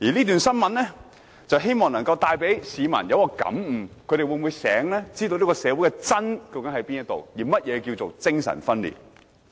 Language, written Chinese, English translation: Cantonese, 我希望這則新聞能給予市民感悟，讓他們清楚知道社會上的"真"究竟在哪裏，而甚麼是"精神分裂"。, I hope that the following news article will be an inspiration to members of the public so that they will clearly know where truth in society lies and what is meant by schizophrenia